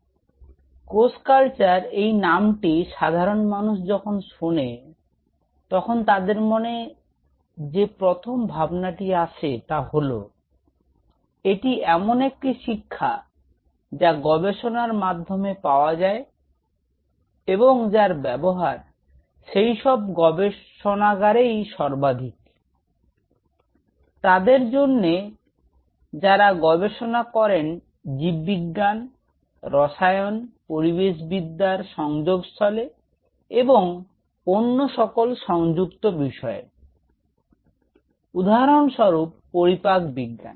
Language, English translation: Bengali, So, the name cell culture, whenever it comes gross people have the first feeling that well, it is a lab training or a kind of a technique which is used by most of the labs, who worked at the interface area biology chemistry environmental sciences and all other allied fields might metabolic sciences say for example